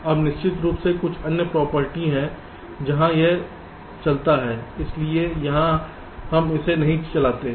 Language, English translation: Hindi, now of course there is some other property where it runs, so so here we are not wanting it now